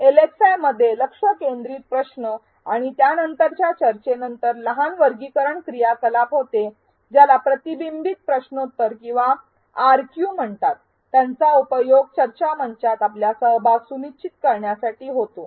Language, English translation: Marathi, In an LxI, the focused question and subsequent discussion is followed by a short graded activity called reflection quiz or RQ to ensure your participation on the discussion forum